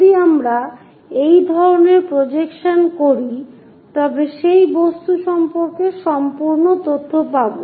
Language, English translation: Bengali, If we do such kind of projections, the complete information about the object we are going to get